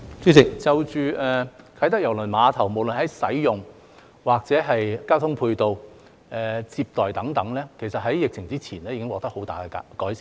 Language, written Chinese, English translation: Cantonese, 主席，就着啟德郵輪碼頭，無論在使用或交通配套、接待等方面，其實在疫情之前已經獲得很大的改善。, President with regard to the Kai Tak Cruise Terminal substantial improvements in terms of usage ancillary transport facilities and hospitality were actually made before the pandemic